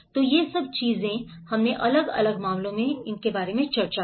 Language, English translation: Hindi, So all these things, we did discussed in different cases